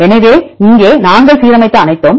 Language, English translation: Tamil, So, here everything we aligned